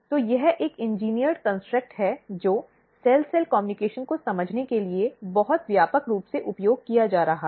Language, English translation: Hindi, So, this is an engineered construct which is being very widely used to understand the cell cell communication